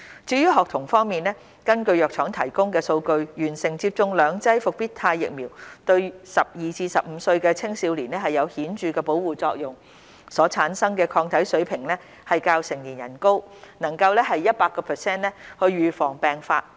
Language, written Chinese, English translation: Cantonese, 至於學童方面，根據藥廠提供的數據，完成接種兩劑復必泰疫苗對12至15歲青少年有顯著的保護作用，所產生的抗體水平較成年人高，能夠 100% 預防病發。, As for students according to the data provided by the drug manufacturer the protection for persons aged 12 to 15 is significant upon completion of two doses of the Comirnaty vaccine . The level of antibodies developed in them is higher than that in adults with 100 % efficacy against the disease